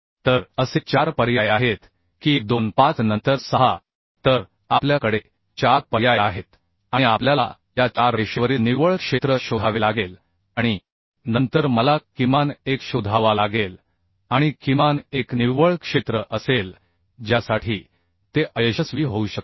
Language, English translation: Marathi, so four options we have and we have to find out the net area along this 4 line and then I have to find out the minimum one, and minimum one will be the net area for which it may fail